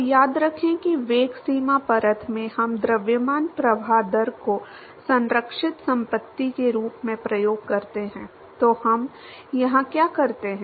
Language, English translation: Hindi, So, remember in the velocity boundary layer we use the mass flow rate as the conserved property, so what we do here